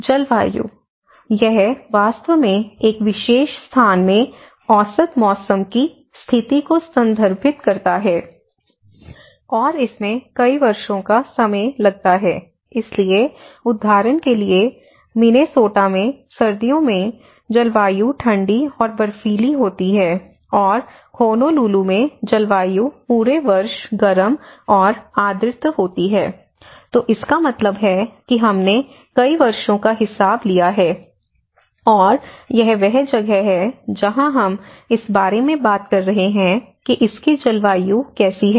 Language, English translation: Hindi, So, climate; it actually refers to the average weather conditions in a particular place, and it takes account of many years, so, for example, a climate in Minnesota is cold and snowy in winter and climate is Honolulu, Hawaii is warm and humid all year long, so which means it has taken the account of many years and that is where we are talking about what kind of climate it have